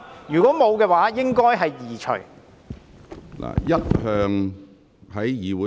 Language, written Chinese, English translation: Cantonese, 如果沒有，應該把紙牌移除。, The placards should be removed if they are not relevant